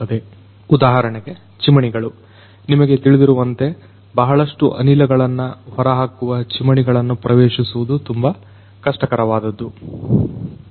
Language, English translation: Kannada, For example, chimneys; chimneys accessing the chimneys as you know, chimneys which throw a lot of exhaust gases accessing those chimneys is very difficult